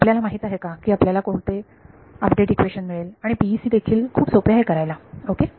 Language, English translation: Marathi, You know what to do we get an update equation and PEC also very simple to do ok